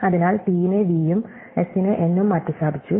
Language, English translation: Malayalam, So, we have replaced the t by v and an s by n